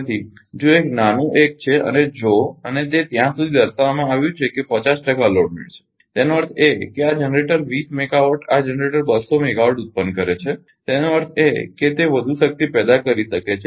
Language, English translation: Gujarati, So, if one the smallest one if and it was till ah mentioned that 50 percent loaded; that means, these generate 20 megawatt these generate two 100 megawatt is generating; that means, it can further generation power